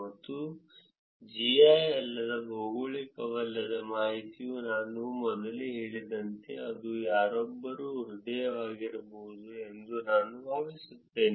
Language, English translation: Kannada, And non GI – non geographic information which could be I think as I said before, it could be somebody’s heart, h e a r t